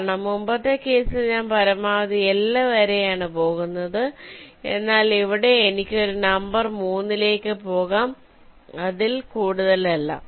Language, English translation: Malayalam, because in the earlier case i was going up to a maximum of l, but here i can go up to a number three, not more than that